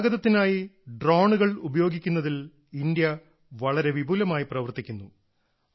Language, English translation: Malayalam, India is working extensively on using drones for transportation